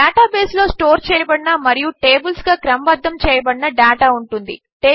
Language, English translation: Telugu, A database has data stored and organized into tables